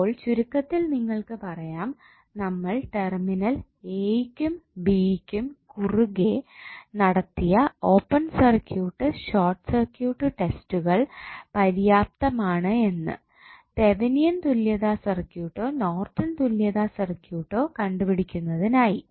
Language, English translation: Malayalam, So, now you can say in summary that the open and short circuit test which we carry out at the terminal a, b are sufficient to determine any Thevenin or Norton equivalent of the circuit which contains at least one independent source